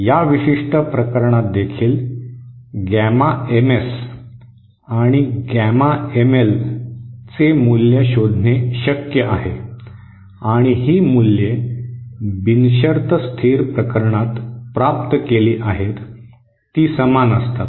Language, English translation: Marathi, For this particular case also, it is possible to find the value of gamma MS and gamma ML and these values are same that we obtained for the unconditionally stable case